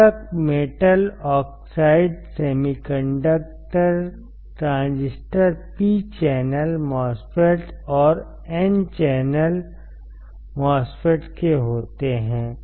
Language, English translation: Hindi, Complementary metal oxide semiconductor transistor consists of, P channel MOSFET and N channel MOSFET